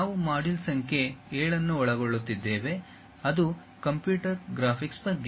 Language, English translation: Kannada, We are covering module number 7 which is about Computer Graphics